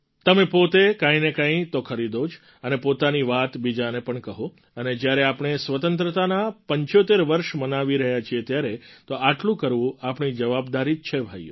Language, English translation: Gujarati, Do purchase something or the other and share your thought with others as well…now that we are celebrating 75 years of Independence, it of course becomes our responsibility